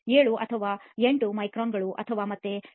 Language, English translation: Kannada, 07 or 08 microns and again for the 0